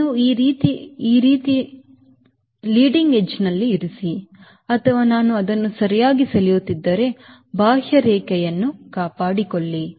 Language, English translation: Kannada, you put something like this in the leading edge, right, or, if i draw it correctly, ah, maintaining in the contour